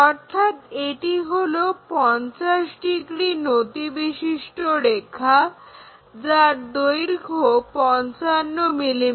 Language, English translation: Bengali, So, this is 50 degrees line and it measures 55 mm long